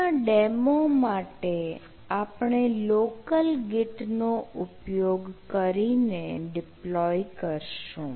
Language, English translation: Gujarati, for this demo, we will be deploying using local git